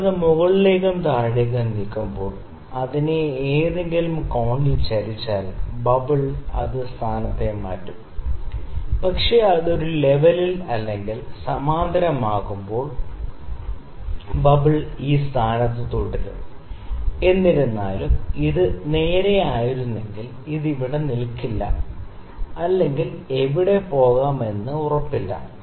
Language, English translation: Malayalam, So, when you move it up and down, not up and down when you tilt it actually at some angle, the bubble would change it is position, but when it is at a level when it is parallel bubble will stay at this position; however, it is not sure, if it had been straight surrender, it is it wouldn’t be share it would stay here or here over wherever it could go, the 2 markings here